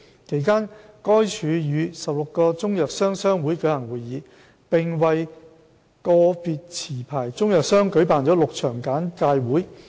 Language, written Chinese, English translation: Cantonese, 其間，該署與16個中藥商商會舉行會議，並為個別持牌中藥商舉辦了6場簡介會。, During this period DH has held a meeting with 16 Chinese medicines traders associations and six sessions of briefing forums for licensed Chinese medicines traders